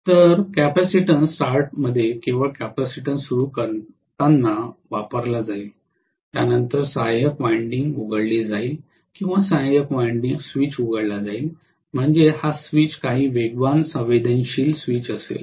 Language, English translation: Marathi, So in capacitance start, only during starting the capacitance will be used, after that auxiliary winding will be opened or auxiliary winding switch will be opened which means this switch will be some speed sensitive switch